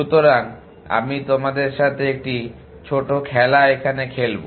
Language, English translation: Bengali, So, let me try out a small game with you